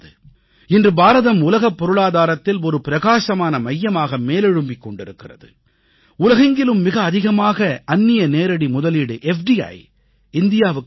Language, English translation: Tamil, Today India has emerged as a bright spot in the global economy and today the highest foreign direct investment or FDI in the world, is flowing to India